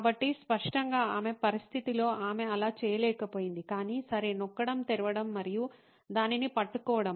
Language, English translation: Telugu, So, obviously with her condition she could not do that, either “okay pressing” it on, opening and holding it on like that